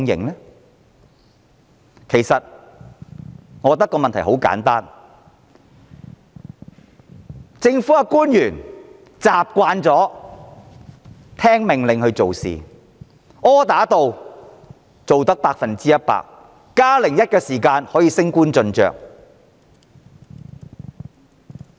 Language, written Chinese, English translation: Cantonese, 理由很簡單，就是特區政府官員習慣按命令做事，只要百分之一百完成，甚至做到"加零一"，便能升官晉爵。, The reason is very simple . SAR officials are used to following orders . As long as they can complete 100 % of their tasks and even go above and beyond the call of duty they will get promoted to higher positions and receive more titles